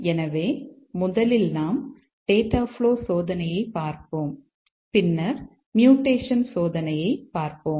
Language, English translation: Tamil, So, first we will look at data flow testing and then we will look at mutation testing